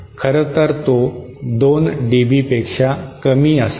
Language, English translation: Marathi, In fact, it should be less than 2 dB